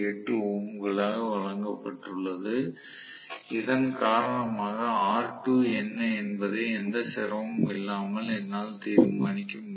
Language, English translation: Tamil, 8 ohms because of which I will be able to determine what is r2 without any difficulty